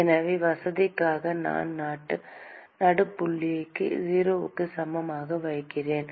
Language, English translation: Tamil, So, supposing just for sake of convenience purposes I define midpoint as x equal to 0